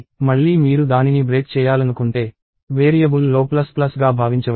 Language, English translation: Telugu, So, again if you want to break it down, you can think of it as plus plus on a variable